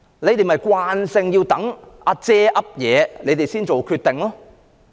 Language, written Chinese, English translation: Cantonese, 官員慣性要等"阿姐"、"阿爺"有了定案後才做決定。, Our officials have got accustomed to making a decision only after Elderly Sister or Grandpa has given the final word